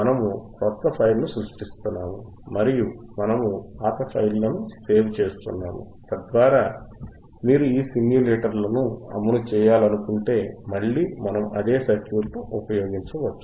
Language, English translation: Telugu, Aand we are saving the old files, so that if you want to run these simulators, again, we can use the same circuit